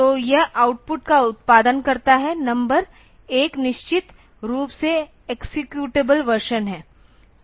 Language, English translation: Hindi, So, it produces the number of output one one one output is definitely the executable version